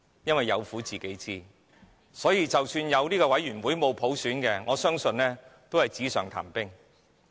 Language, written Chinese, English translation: Cantonese, 他們有苦自己知，即使設立中產事務委員會而沒有普選，我相信這個委員會也是紙上談兵罷了。, I do believe that with no universal suffrage the setting up of a middle class commission will merely be an armchair strategy